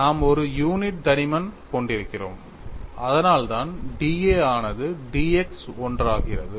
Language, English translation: Tamil, And we are having a unit thickness, so that is why d A becomes d x into 1